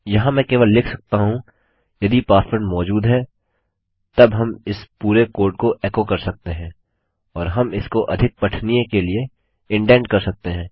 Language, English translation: Hindi, Here i could just say if password exists then we can echo out all this code and we can indent this to make it more readable